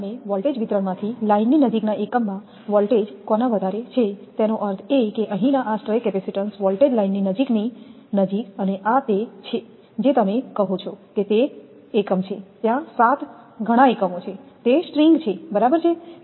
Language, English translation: Gujarati, on the voltage distribution as a result of who is the voltage across a unit nearest to the line is more; that means here because of these stray capacitance voltage near the nearest to the line this and this is the your what you call that unit it is, there are seven several units it is string right